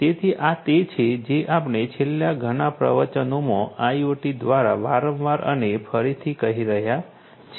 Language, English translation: Gujarati, So, this is what we have been telling time and again in the last several lectures that IoT